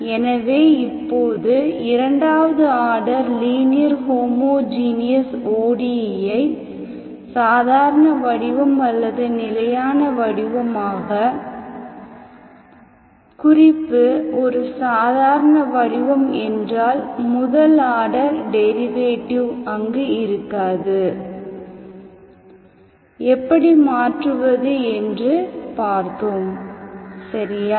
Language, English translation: Tamil, So now we have seen, how to convert second order linear ODE homogeneous ODE into normal form, standard form a normal form means first order derivative will not be there